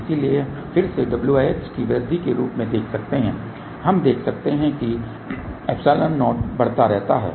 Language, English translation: Hindi, So, we can see again as w by h increases we can see that the epsilon 0 keeps on increasing